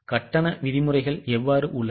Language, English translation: Tamil, How are the payment terms